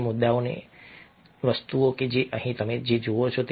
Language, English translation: Gujarati, this is one of the issues, things that you see over here